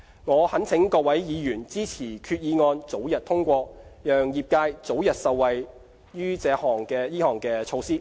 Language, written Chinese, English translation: Cantonese, 我懇請各位議員支持決議案早日通過，讓業界早日受惠於這項措施。, I would like to appeal to Members for their support to the early passage of the resolution so that the trade may reap early benefits from the measure